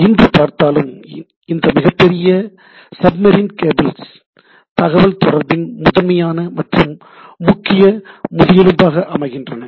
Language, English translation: Tamil, And if you see today also this huge sub submarine cables primarily forms the major backbone of the data communication part